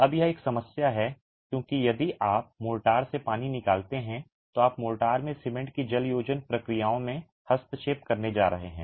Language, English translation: Hindi, Now, there is a problem because if you take away water from mortar you are going to interfere with the hydration processes of the cement in mortar